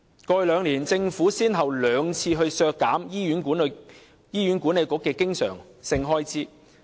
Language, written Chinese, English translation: Cantonese, 過去兩年，政府先後兩次削減醫院管理局的經常性開支。, The Government cut the recurrent expenditure of the Hospital Authority HA twice in the past two years